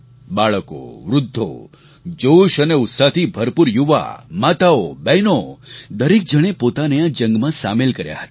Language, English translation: Gujarati, Children, the elderly, the youth full of energy and enthusiasm, women, girls turned out to participate in this battle